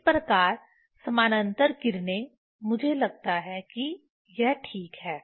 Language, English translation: Hindi, Thus the parallel rays I think this is ok